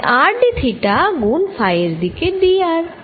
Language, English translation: Bengali, so r d theta times d r in phi direction